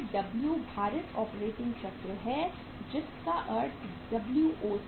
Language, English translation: Hindi, That is W weighted operating cycle means WOC